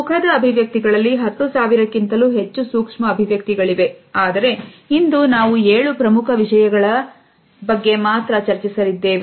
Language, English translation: Kannada, Field, there are over 10,000 micro expressions, but today we are only going to be talking about the seven major ones